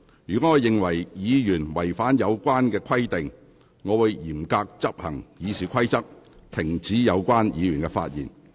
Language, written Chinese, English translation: Cantonese, 若我認為議員違反有關規定，我會嚴格執行《議事規則》，指示有關議員停止發言。, If I find that a Member is in breach of these provisions I will strictly enforce RoP and direct the Member to discontinue his speech